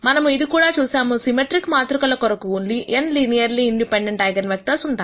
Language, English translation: Telugu, We also saw that symmetric matrices have n linearly independent eigenvectors